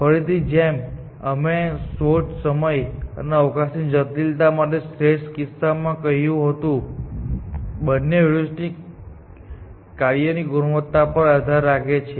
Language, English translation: Gujarati, Again, like we said in case of best for search, time and space complexity, both depend upon the quality of the heuristic function